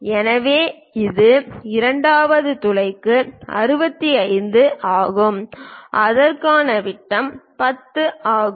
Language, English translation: Tamil, So, that is 65 for the second hole and the diameter is 10 for that